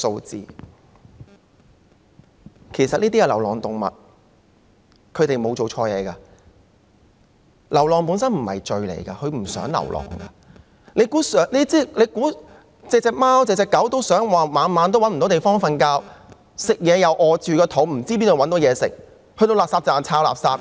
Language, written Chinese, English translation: Cantonese, 這些是流浪動物，牠們沒有做錯事，流浪本身不是罪，牠們也不想流浪，難道每隻貓狗也想每晚無處棲息、要餓着肚子，又不知道哪裏有食物，要到垃圾站翻垃圾嗎？, These are stray animals and they have done nothing wrong . Being a stray is nothing wrong per se and they do not want to be strays either . Does anyone think that all the cats and dogs want to be homeless and go hungry each night not knowing where they can get food and having to rummage through garbage at refuse collection points?